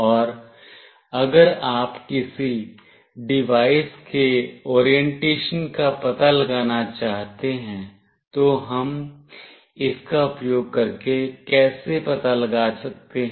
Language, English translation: Hindi, And if you want to find out the orientation of a device how we can find it out using this